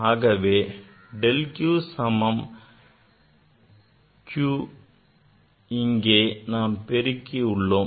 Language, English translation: Tamil, Then del q equal to, say q we multiplied here